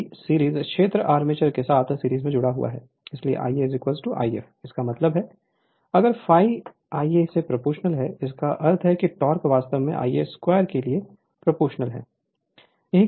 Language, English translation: Hindi, Because series field is connected in series with the armature, so I a is equal to I f; that means, if phi proportional to the I a means the torque actually proportional to I a square